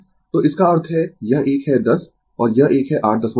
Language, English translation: Hindi, So, that means, this one is 10 and this one is 8